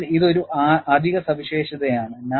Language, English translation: Malayalam, So, this is an additional feature it has